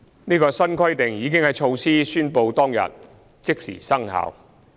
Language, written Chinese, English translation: Cantonese, 這項新規定已在措施宣布當天即時生效。, The new requirement came into immediate effect on the day when the initiative was announced